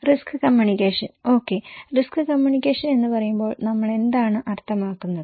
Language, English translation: Malayalam, Risk communication, what does it mean when we say risk communication okay